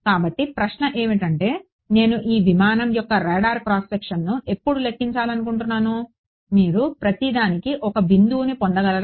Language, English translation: Telugu, So, question is when I want to calculate the radar cross section of this aircraft, will you get a point for each